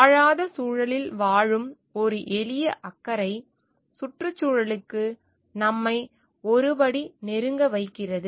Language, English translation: Tamil, A simple caring for the living in the non living environment; which in we brings us a step closer to the environment